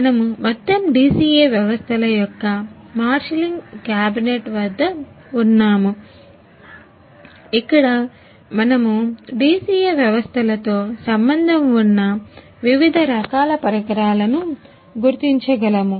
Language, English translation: Telugu, So, we are at marshalling cabinet of whole DCA systems, where we can identify the different type of instruments involved a with a DCA systems